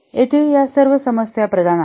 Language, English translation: Marathi, Here all these are problematic